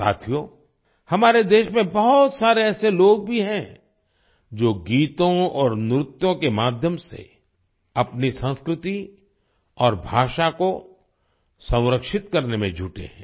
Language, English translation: Hindi, Friends, there are many people in our country who are engaged in preserving their culture and language through songs and dances